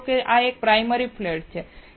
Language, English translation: Gujarati, Suppose, this is a primary flat